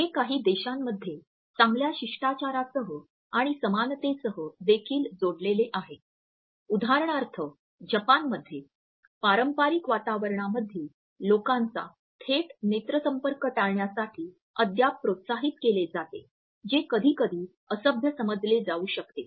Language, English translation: Marathi, It is also linked with good manners and likeability in some countries for example, in Japan, in traditional setups people are still encouraged to avoid a direct eye contact which may sometimes be understood as being rude